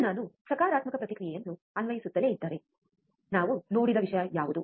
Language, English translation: Kannada, Now, if I keep on going applying positive feedback, what was the thing that we have seen